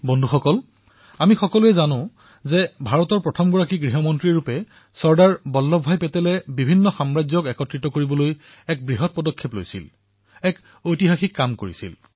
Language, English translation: Assamese, Friends, all of us know that as India's first home minister, Sardar Patel undertook the colossal, historic task of integrating Princely states